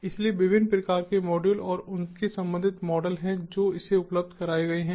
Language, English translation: Hindi, so there are different types of modules and their corresponding models that are made available